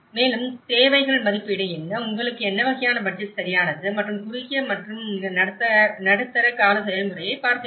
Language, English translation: Tamil, And also, what are the needs assessment, what kind of budget you need right and one has to look at the short and medium term process